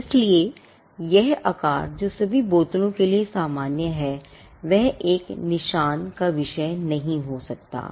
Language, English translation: Hindi, So, this shape which is common to all bottles cannot be the subject matter of a mark